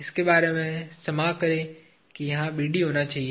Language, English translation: Hindi, Sorry about, that this has to be BD